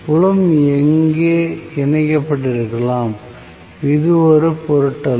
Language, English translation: Tamil, May be the field is also connected here, it does not matter